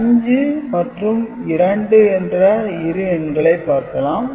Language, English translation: Tamil, So, let us consider two numbers 5 and 2